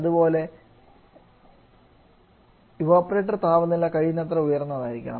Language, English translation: Malayalam, So, the evaporator pressure should be as highest possible